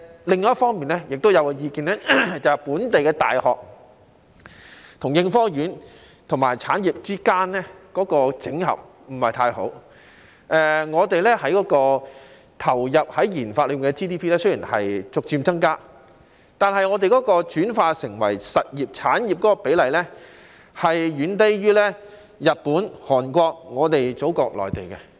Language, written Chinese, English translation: Cantonese, 另一方面，也有意見認為，本地大學與應科院和產業之間的整合不是太好，我們投放於研發的 GDP 雖然逐漸增加，但轉化成為實業產業的比例，遠低於日本、韓國和我們的祖國內地。, On the other hand there is also the view that local universities do not collaborate well with ASTRI and the industries . Although our GDP on research and development RD has gradually increased the proportion of transformation into industrial businesses is far lower than that of Japan Korea and our Motherland